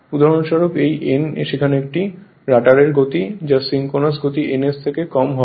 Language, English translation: Bengali, And this n is there this is the speed of the rotor which will which will be less than the your synchronous speed ns right